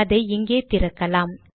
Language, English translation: Tamil, Let me open it here